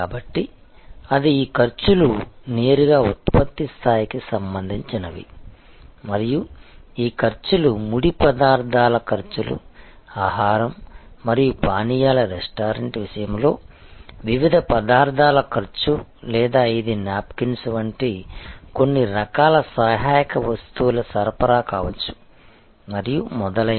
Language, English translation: Telugu, So, they are therefore, these costs are directly related to the level of production and these costs are costs of raw material, cost of different ingredients in the case of a food and beverage restaurant or it could be certain types of ancillary stuff supply like napkins and so on, etc